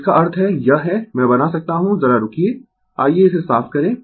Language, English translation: Hindi, That means, this is I can make just hold on let me clear it